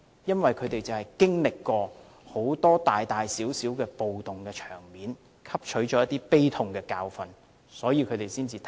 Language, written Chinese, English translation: Cantonese, 因為他們經歷過很多大小暴動，汲取了一些悲痛的教訓，才會立法。, It is because they have experienced many riots of various scales and have learnt some bitter lessons before enacting the law